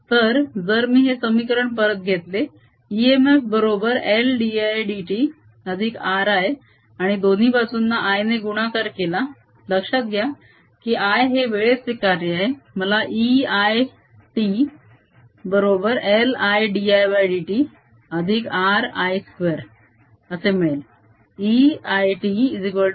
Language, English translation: Marathi, so if i take this equation again, e m f is equal to l d i, d t plus r i and multiply both sides by i remember i is a function of time i get e i t is equal to l i, d, i over d t plus r i square